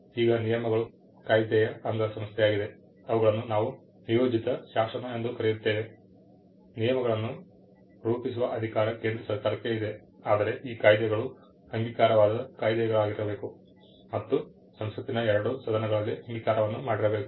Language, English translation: Kannada, Now, the rules are subsidiary to the act, they perform they are what we call delegated legislation, the central government has the power to make the rules, whereas, the acts have to be acts that are passed and both the houses of the parliament